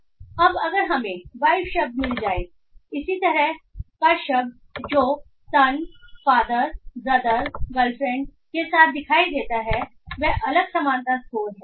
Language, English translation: Hindi, So now if we find the word wife, the similar word that appears with a son, father, brother, girlfriend with this different similarity scores